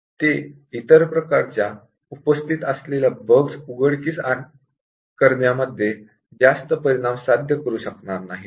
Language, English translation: Marathi, They would not achieve too much in exposing the other types of bugs that are present